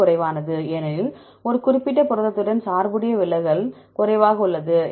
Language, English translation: Tamil, Whichever lower because the deviation lower that is biased with that particular protein